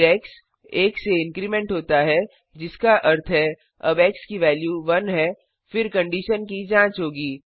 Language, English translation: Hindi, We print the value as 0 Then x is incremented by 1 which means now the value of x is 1, then the condition will be checked